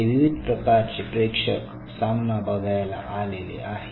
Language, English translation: Marathi, And these are the different kind of people coming to an view the match